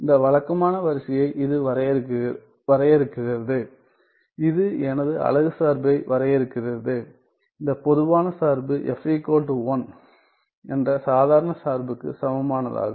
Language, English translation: Tamil, Well it defines this regular sequence, it defines my unit function which is the generalized function equivalent to the ordinary function ordinary function f is equal to 1